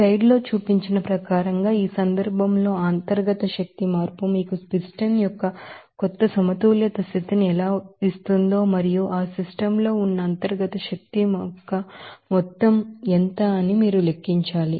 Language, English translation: Telugu, As per figure shown in the slide, in this case, you have to calculate how that internal energy change will give you these you know new equilibrium position of this piston and what will be the amount of that internal energy they are in the system